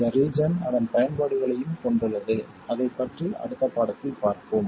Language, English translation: Tamil, This region also has its uses, we will look at it in some later lesson